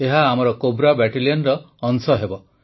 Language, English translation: Odia, They will be a part of our Cobra Battalion